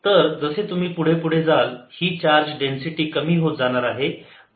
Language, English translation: Marathi, so as you go farther and farther out, this charge density is decreasing